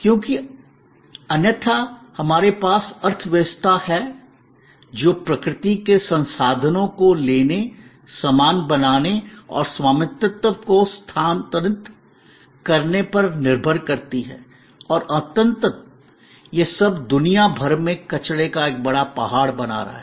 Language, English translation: Hindi, Because, otherwise we have an economy, which relies on taking stuff taking resources from nature, making things and transferring the ownership and ultimately all that is creating a huge mountain of waste around the world